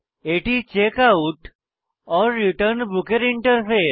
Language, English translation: Bengali, This is the interface to Checkout/Return Book